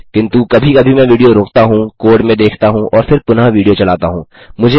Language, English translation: Hindi, But sometimes I pause to video, I have a look at the code and then resume the video